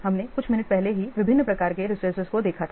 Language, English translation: Hindi, We have already seen different types of resources just a few minutes before